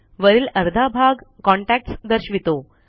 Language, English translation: Marathi, The top half displays the contacts